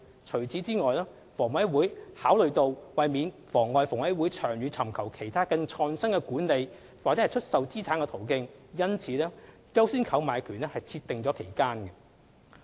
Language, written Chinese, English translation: Cantonese, 除此以外，房委會考慮到為免妨礙房委會長遠尋求其他更創新的管理/出售資產途徑，因此為"優先購買權"設定期間。, Furthermore in order not to compromise HAs long - term pursuit of more innovative asset managementdisposal avenues a time limit was set for the right of first refusal